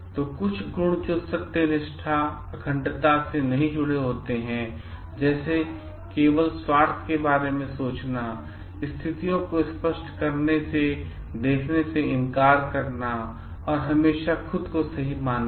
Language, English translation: Hindi, So, some qualities which cannot be connected to integrity are like thinking only of self interest, refusing to see situations clearly and always believing oneself to be right